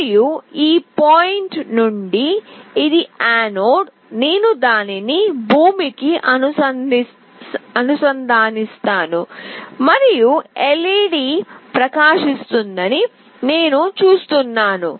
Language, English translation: Telugu, And this from this point, that is the anode, I will connect it to ground and I see that the LED is glowing